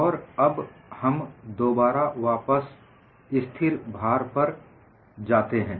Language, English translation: Hindi, Now, we again go back to our constant load